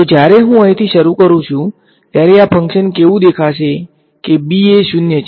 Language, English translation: Gujarati, So, when I start from here what will this function look like b is 0 right